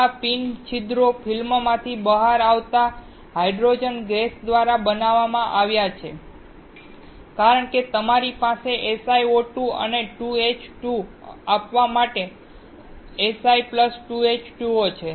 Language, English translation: Gujarati, These pin holes are created by the hydrogen gas coming out of the film because, you have Si + 2H2O to give SiO2 and 2H2